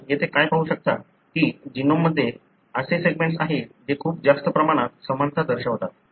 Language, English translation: Marathi, What you can see here is that there are segments in the genome that show very high similarity